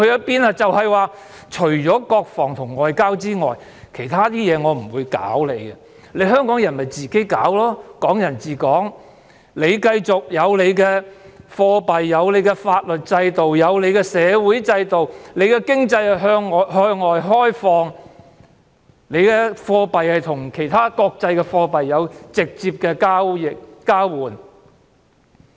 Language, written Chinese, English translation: Cantonese, 便是除了國防和外交之外，其他事務不會干預，由香港人自行處理，繼續"港人治港"，香港有獨立的貨幣、法律制度、社會制度，香港的經濟向外開放，港幣可與其他國際貨幣直接交換。, It means that with the exceptions of defence and foreign affairs there will be no interference in the affairs of Hong Kong which will be handled by Hong Kong people on their own . The principle of Hong Kong people administering Hong Kong will continue to be upheld and Hong Kong will continue to have its own currency legal system and social system . Hong Kong is an open economy and Hong Kong dollars can be directly exchanged with other international currencies